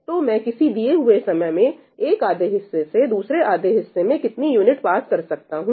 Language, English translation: Hindi, So, how many units can I pass, at any given point of time, from one half to the other half